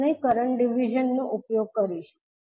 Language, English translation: Gujarati, We will use the current division